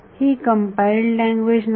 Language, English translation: Marathi, It is not a compiled language